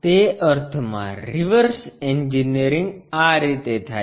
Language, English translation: Gujarati, In that sense a reverse engineering goes in this way